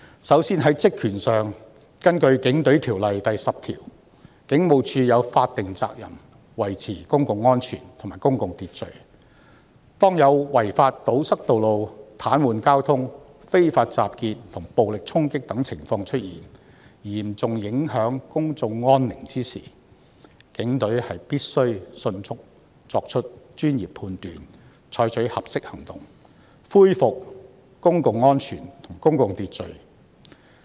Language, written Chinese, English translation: Cantonese, 首先，在職權上，根據《警隊條例》第10條，警務處有法定責任維持公共安全和公共秩序，當有違法堵塞道路、癱瘓交通、非法集結及暴力衝擊等情況出現，嚴重影響公眾安寧時，警隊必須迅速作出專業判斷，採取合適行動，恢復公共安全和公共秩序。, Firstly in respect of powers and functions under section 10 of the Police Force Ordinance the Police Force has the statutory duty to maintain public safety and public order . When public peace is seriously affected by illegal road blockage paralysed traffic unlawful assemblies and violent charging the Police must swiftly make professional judgment and take appropriate actions to restore public safety and public order